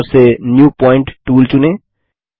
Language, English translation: Hindi, Select the New Point tool, from the toolbar